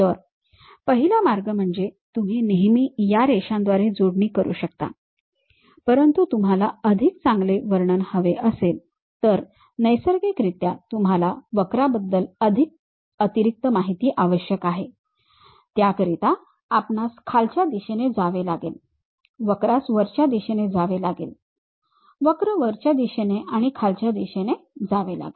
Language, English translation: Marathi, One way is you can always connect by lines, but you want better description naturally you require additional information on the curve has to go downward direction in that way, the curve has to go upward direction, the curve has to go upward direction and downward direction